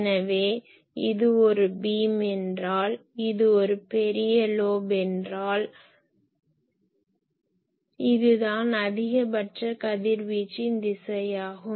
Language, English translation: Tamil, So, if this is a beam and you see that if this is a main lobe , then this is the direction of maximum radiation